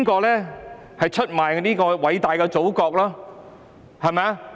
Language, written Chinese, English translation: Cantonese, 誰人出賣了偉大的祖國？, Who has betrayed the great Motherland?